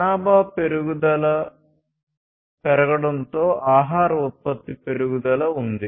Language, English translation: Telugu, So, there was growth of food production as the population growth increased